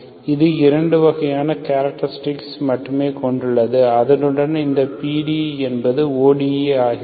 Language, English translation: Tamil, It has it has only 2 kinds of characteristics along which this PDE becomes ODE, okay, that is what is there, it is a constant